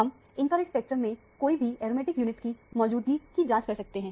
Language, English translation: Hindi, We can also check for the presence of any aromatic unit in the infrared spectrum